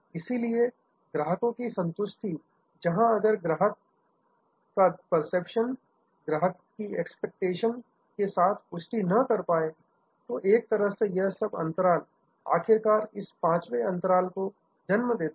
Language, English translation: Hindi, So, customer satisfaction, where if the customer perception is not in confirmative with customer expectation, so in a way all this gaps finally, lead to this fifth gap